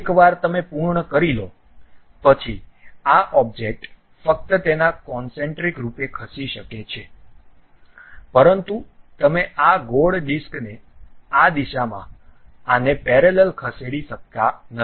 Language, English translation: Gujarati, Once you are done, this object can move concentrically out of that only, but you cannot really move this circular disc away parallel to this in this direction